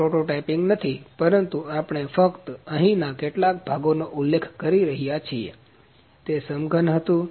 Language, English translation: Gujarati, This is not the prototyping, but we are just mentioning a few components which are here, it was a cube